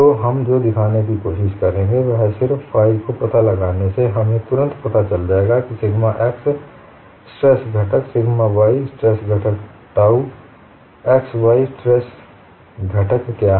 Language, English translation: Hindi, So, what we would try to show is, by just finding out phi, we would immediately get to know what is the sigma x stress component, sigma y stress component, dou x stress components